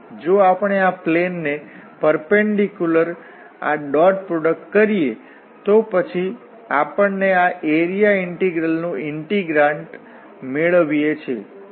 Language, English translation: Gujarati, So if we do this dot product with the perpendicular to this plane, then we get exactly the integrant of this area integral